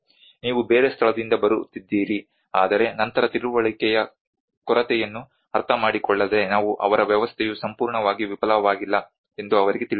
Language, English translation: Kannada, You are coming from some other place, but then without understanding a lack of understanding we actually educate them that their system is not is absolutely a failure